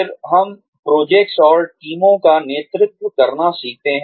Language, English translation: Hindi, Then, we learn, to lead projects and teams